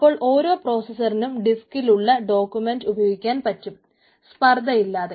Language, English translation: Malayalam, right, so that each processor is able to access any document from the disk in parallel with no contention